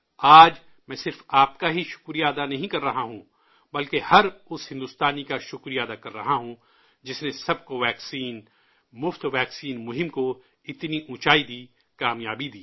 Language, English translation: Urdu, Today, I am gratefully expressing thanks, not just to you but to every Bharatvasi, every Indian who raised the 'Sabko vaccine Muft vaccine' campaign to such lofty heights of success